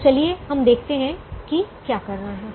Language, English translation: Hindi, so let us see what we do